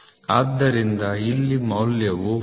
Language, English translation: Kannada, So, now this is going to be 40